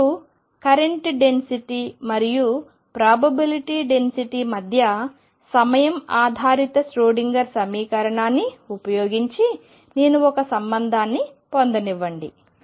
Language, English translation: Telugu, And then we defined the current or to we more precise probability current density using time dependent Schroedinger equation